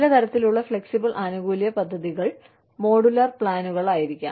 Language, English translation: Malayalam, Some types of, flexible benefits plans could be, modular plans